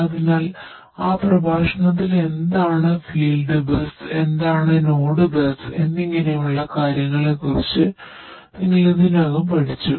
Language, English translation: Malayalam, So, in that lecture you have already you know learnt about what is field bus, what is node bus and so, on